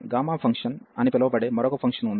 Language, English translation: Telugu, And there is another function it is called gamma function